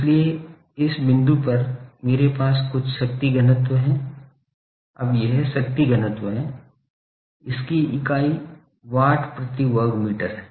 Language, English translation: Hindi, So, at this point I have some power density, now this power density, it is unit is watts per metre square